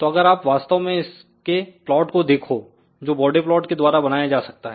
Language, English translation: Hindi, So, if you actually look at the plot of this particular thing which can be done using bode plot